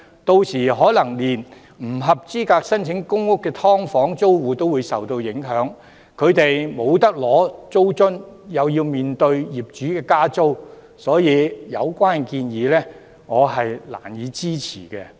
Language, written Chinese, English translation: Cantonese, 屆時，可能連不合資格申請公屋的"劏房"租戶也會受影響，他們不合資格獲發租津，更要面對業主加租，所以我難以支持有關的建議。, Then subdivided units tenants not eligible for PRH may also be affected . They are not eligible for rental allowance and have to face rental increases demanded by landlords . Therefore I find it hard to support their suggestions